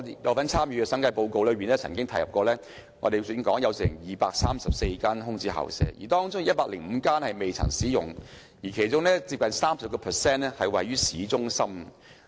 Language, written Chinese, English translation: Cantonese, 我曾參與審議審計署署長報告書，當中提到本港有234間空置校舍，其中105間未曾使用，而近 30% 位於市中心。, I had been involved in scrutinizing the Director of Audits report . It was mentioned in the report that there are 234 vacant school premises in Hong Kong 105 of which have not been used and 30 % of which are located in urban areas